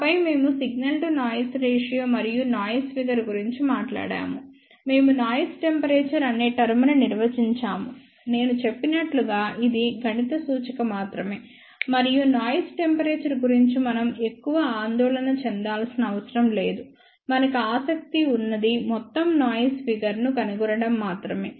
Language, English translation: Telugu, Then we talked about, signal to noise ratio and noise figure; we defined the term noise temperature, as I mentioned it is only a mathematical representation and we have to not worry too much about noise temperature, what we are interested in is to find out overall noise figure